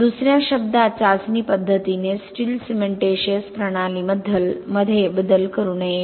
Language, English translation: Marathi, In other words the test method should not alter the steel cementitious system